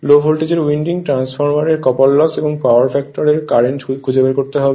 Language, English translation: Bengali, You have to find out the current in the low voltage winding, copper loss in the transformer and the power factor